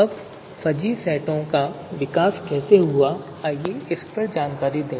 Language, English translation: Hindi, Now, how the development of fuzzy sets have happened